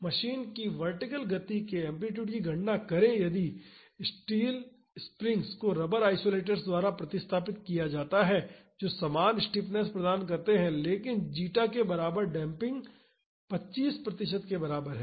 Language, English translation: Hindi, Calculate the amplitude of the vertical motion of the machine if the steel springs are replaced by rubber isolators, which provide the same stiffness, but introduce damping equivalent to zeta is equal to 25 percent